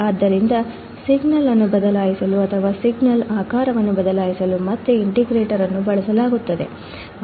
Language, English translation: Kannada, So, again the integrator is also used to change the signal or change the shape of the signal